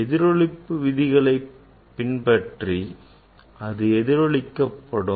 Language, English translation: Tamil, Following the laws of reflection, it will be reflected